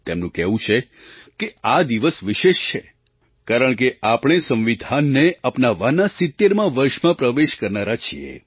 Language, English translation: Gujarati, She says that this day is special because we are going to enter into the 70th year of our Constitution adoption